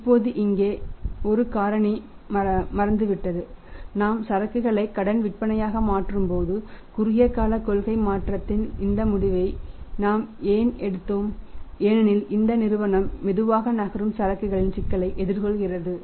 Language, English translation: Tamil, Now here one factor have forgotten to factorise just see when we are converting the inventory into the credit sales why we have taken this decision of short term policy change because the company was following the for facing the problem of the slow moving inventory